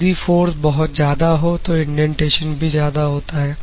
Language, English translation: Hindi, If the forces are very high so the indentation will be very high